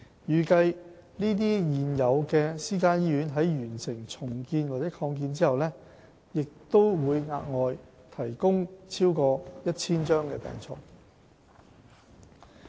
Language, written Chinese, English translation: Cantonese, 預計這些現有私營醫院在完成重建或擴建後，將額外提供超過 1,000 張病床。, It is expected that over 1 000 additional hospital beds will be provided by these private hospitals upon completion of the redevelopment or expansion projects